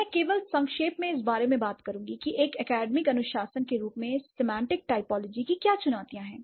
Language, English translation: Hindi, I would just briefly talk about what are the challenges that semantic typology as an academic discipline faces